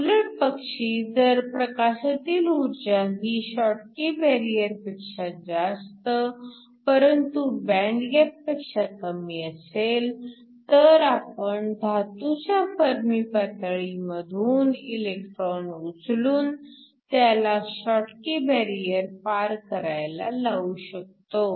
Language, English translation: Marathi, The other hand if you have light energy greater than the schottky barrier, but less than the band gap, then you can take an electron from the Fermi level of the metal and then take it above the schottky barrier and that can also give you current